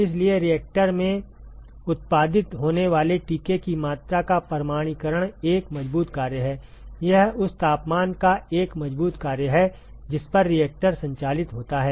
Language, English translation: Hindi, So, quantification is a strong function of the amount of vaccine that is produced in the reactor is a strong function of the temperature at which the reactor is operated